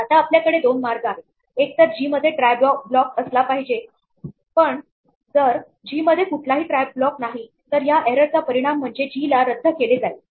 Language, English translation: Marathi, Now, we have two options either g has a try block, but if g does not have a try block then this error will cause g to abort